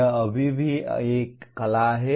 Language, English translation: Hindi, This is still an art